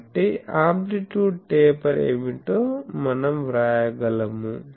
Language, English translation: Telugu, So, we can write what will be the amplitude taper